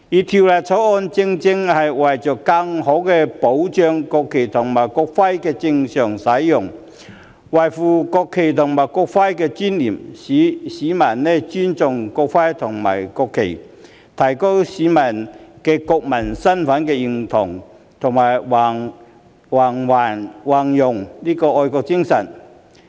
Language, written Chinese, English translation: Cantonese, 《條例草案》正是為了更好地保障國旗和國徽的正常使用，維護國旗和國徽的尊嚴；並使市民尊重國旗和國徽，提高市民對國民身份的認同及弘揚愛國精神。, The Bill aims precisely to better safeguard the proper use and preserve the dignity of the national flag and the national emblem so as to promote respect for the national flag and national emblem enhance the sense of national identity among citizens and promote patriotism